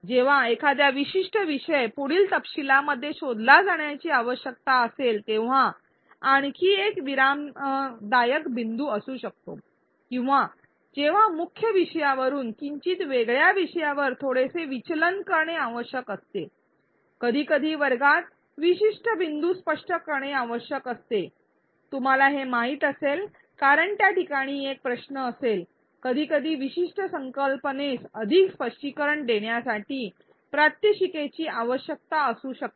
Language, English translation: Marathi, Another pause point could be when a particular topic needs to be delved into further details or when a slight digression needs to be made from a main topic into a slightly different topic; sometimes there is a need to clarify a particular point a difficult point perhaps in a classroom you would know this because there will be a question at that point, sometimes a demonstration may be required to clarify a certain concept more